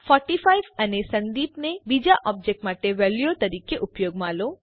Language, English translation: Gujarati, Use 45 and Sandeep as values for second object